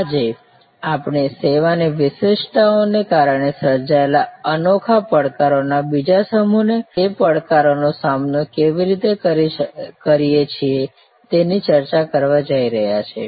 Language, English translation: Gujarati, Today, we are going to discuss another set of unique challenges created due to service characteristics and how we address those challenges